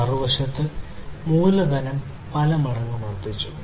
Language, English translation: Malayalam, And on the other hand capitalization has increased manifold